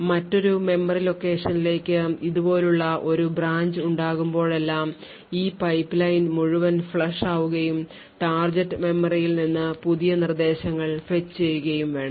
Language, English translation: Malayalam, So, every time there is a branch like this to another memory location, this entire pipeline would get flushed and new instructions would need to be fetched from the target memory